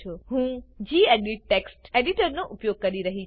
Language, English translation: Gujarati, I am using gedit text editor